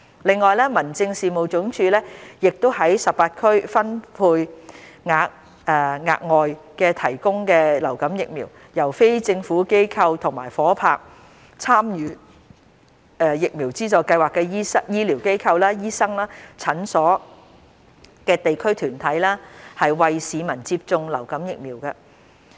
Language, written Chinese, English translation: Cantonese, 另外，民政事務總署亦將在18區分配額外提供的流感疫苗，由非政府機構及夥拍參與疫苗資助計劃的醫療機構/醫生/診所的地區團體，為市民接種流感疫苗。, Separately the Home Affairs Department will allocate additional influenza vaccines to non - governmental organizations and district organizations partnering with healthcare facilitiesdoctorsclinics enrolled in VSS across the 18 districts to provide influenza vaccination for the public